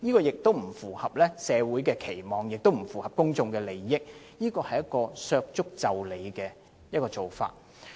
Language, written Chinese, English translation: Cantonese, 這不符合社會期望，亦不符合公眾利益，是削足就履的做法。, Such an outcome cannot meet the expectations of society or the public and such an approach will be trimming the foot to suit the shoe